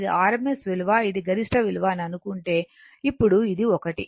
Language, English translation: Telugu, Now this one if you think that your rms value this is the peak value